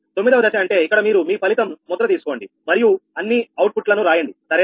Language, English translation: Telugu, step nine means you printout the result, write all the outputs, right